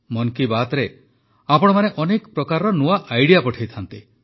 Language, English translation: Odia, You send ideas of various kinds in 'Mann Ki Baat'